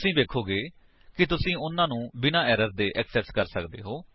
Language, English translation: Punjabi, You will find that you can access them without any error